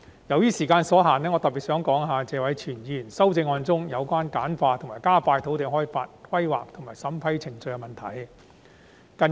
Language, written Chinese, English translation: Cantonese, 由於時間所限，我特別想談談謝偉銓議員的修正案中，有關簡化和加快土地開發、規劃及審批程序的建議。, Due to time constraints I particularly want to talk about the proposals in Mr Tony TSEs amendment such as streamlining and expediting the land development planning and approval procedures